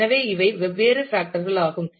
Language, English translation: Tamil, So, these are different factors